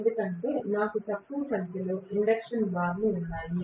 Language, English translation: Telugu, Because I have less number of induction bars